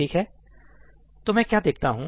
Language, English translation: Hindi, Alright, so, what do I see